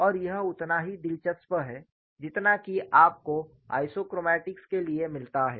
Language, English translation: Hindi, And this is as interesting, like what you get for isochromatics